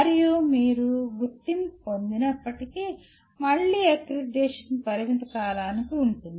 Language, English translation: Telugu, And even if you are accredited, again the accreditation is for a limited period